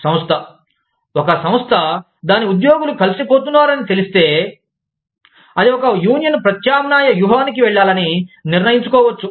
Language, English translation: Telugu, The organization, if an organization, comes to know, that its employees are getting together, it may decide to go for a, union substitution strategy